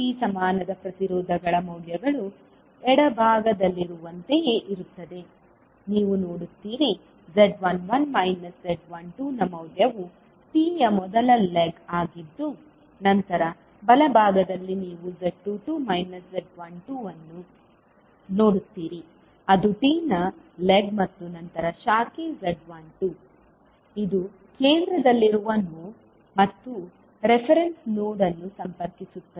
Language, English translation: Kannada, So the values of impedances for T equivalent would be like in the left side you will see there will be the value of Z11 minus Z12 that is the first leg of T, then on the right you will see that is Z22 minus Z12 that is the right leg of the T and then the branch that is Z12, which is connecting the node which is at the centre and the reference node